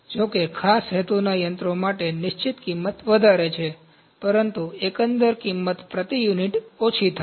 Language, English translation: Gujarati, However, the fixed cost is higher for special purpose machines, but the overall cost is reduced per unit